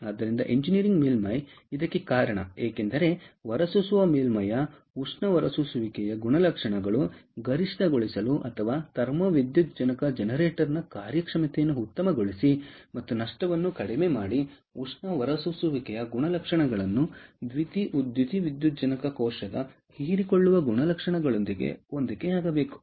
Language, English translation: Kannada, this is because the thermal emission characteristics of the emitter surface, in order to maximize ah or or optimize the performance of the thermo photovoltaic generator and minimize losses, the thermal emission characteristics has to be matched with the absorption characteristics of the photovoltaic cell